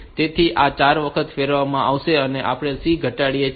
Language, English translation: Gujarati, So, this will be rotated 4 times and we decrement C